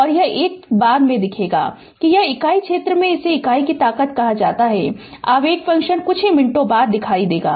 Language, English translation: Hindi, And this 1 we will see later it is unit area it is called the strength of the your unit impulse function we will see just after few minutes